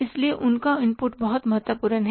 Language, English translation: Hindi, So, their inputs are very important